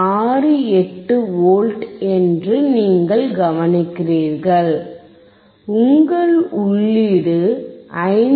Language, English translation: Tamil, 68V, your input is 5